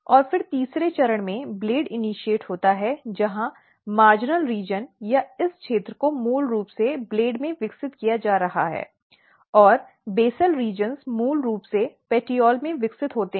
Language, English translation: Hindi, And then at third stage the blade initiates where what happens the marginal region or this region is basically getting developed into the blades and the basal reasons are basically developed into the petiole